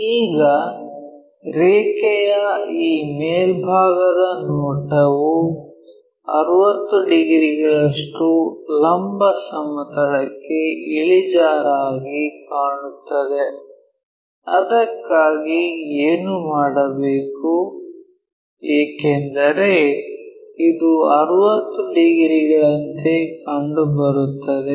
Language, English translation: Kannada, Now, this top view of the line appears to incline to vertical plane at 60 degrees; for that what we have to do is because this one is appears to be 60 degree